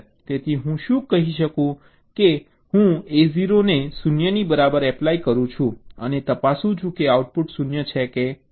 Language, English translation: Gujarati, i can say that i apply a zero equal to zero and check whether the output is zero or not